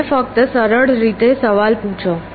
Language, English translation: Gujarati, Let me just ask way simple question